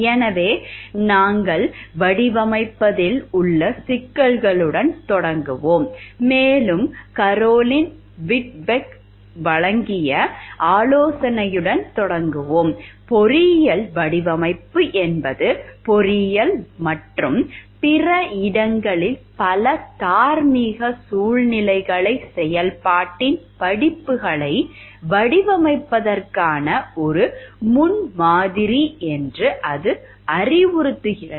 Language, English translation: Tamil, So, we will start with the like issues of designing and we will start with the suggestion given by Caroline Whitbeck, it suggests that engineering design is in many respects a model for designing courses of action, many moral situations in engineering and elsewhere